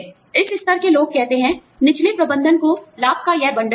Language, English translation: Hindi, People at this level, say, the lower management, will get this bundle of benefits